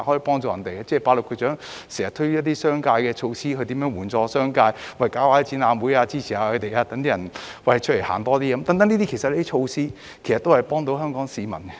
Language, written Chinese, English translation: Cantonese, 局長亦經常推出一些支援商界的措施，例如舉辦展覽會，鼓勵市民多外出走走，這些措施皆能幫助香港市民。, Also the Secretary often introduces measures to support the business sector such as organizing exhibitions and encouraging people to go out more often . These measures can benefit Hong Kong people